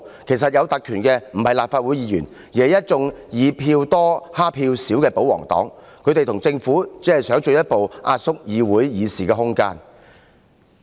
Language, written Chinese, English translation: Cantonese, 其實有特權的不是立法會議員，而是一眾以票多欺負票少的保皇黨議員，他們和政府只是想進一步壓縮議會的議事空間。, Indeed the privilege is vested in not Members of the Legislative Council but numerous Members from the pro - government camp who bully the minority with their majority vote . They and the Government only wish to further compress the room for policy discussion in the Council